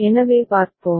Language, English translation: Tamil, And so let us see